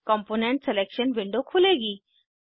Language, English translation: Hindi, The component selection window will open up